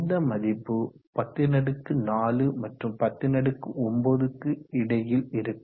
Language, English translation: Tamil, 105 and this value is between 1000 and 5